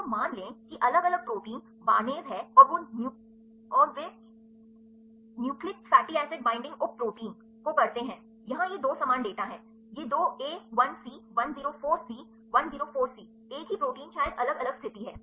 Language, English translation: Hindi, So, say different protein is barnase and they sub nucleus fatty acid binding protein, the here is these two the same data, the these two A 1 C 104 C 104 C same protein maybe different conditions